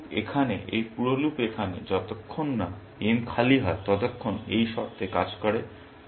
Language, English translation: Bengali, This loop here, this whole loop here, works under the condition as long as, m is not equal to empty